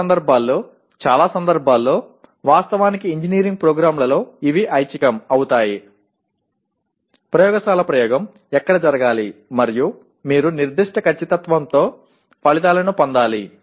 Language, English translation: Telugu, In some cases it is, in many cases actually in engineering programs they become optional except where the laboratory experiment has to be performed and where you have to obtain results to with certain accuracy